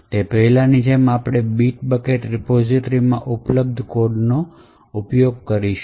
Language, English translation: Gujarati, So as before we will be using the codes that is available with Bit Bucket repository